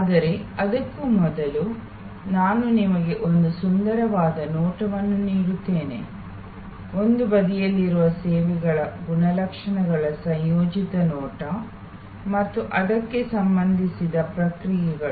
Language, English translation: Kannada, But, before that let me give you a nice view, composite view of the characteristics of services on one side and the responses linked to that